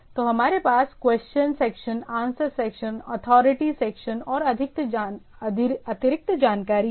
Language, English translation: Hindi, So, that we have the questions section, answers section, authority section and additional information